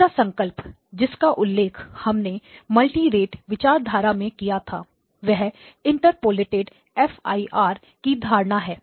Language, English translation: Hindi, Okay, now the second concept that we had mentioned in the context of multirate applications is the notion of interpolated FIR